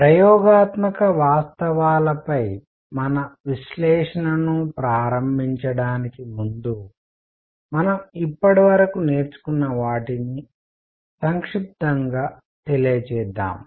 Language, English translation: Telugu, Before we start our analysis on experimental facts, let us just summarize what we have learnt so far